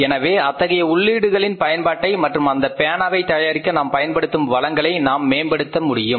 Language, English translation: Tamil, So, we will optimize the uses of these inputs and resources we are using to manufacture this pen